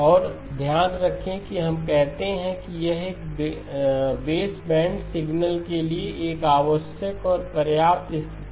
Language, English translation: Hindi, And keep in mind that we say that this, it is a necessary and sufficient condition for baseband signal